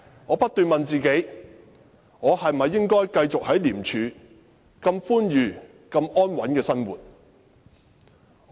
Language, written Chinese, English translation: Cantonese, 我不斷問自己：我是否應該繼續在廉署如此寬裕和安穩地生活？, I kept asking myself whether I should continue to work in ICAC and lead an amiable and stable life